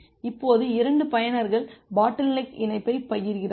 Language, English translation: Tamil, Now, if 2 users are sharing the bottleneck link